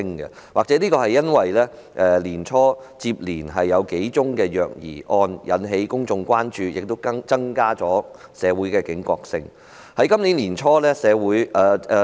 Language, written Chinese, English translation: Cantonese, 這或許是因為年初接連發生的數宗虐兒個案引起公眾關注，致使社會的警覺性提高。, This may be attributed to the fact that the occurrence of a spate of child abuse cases in the beginning of this year has aroused public concerns about the problem and enhanced public awareness